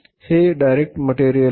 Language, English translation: Marathi, This is the direct material